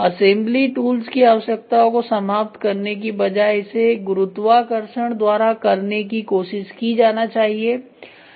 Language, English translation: Hindi, Rather than eliminate the assembly tools try to do it by gravity itself